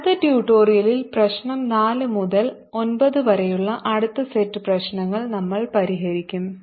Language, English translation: Malayalam, in the next tutorial we'll solve the next set of problems, that is, from problem number four to nine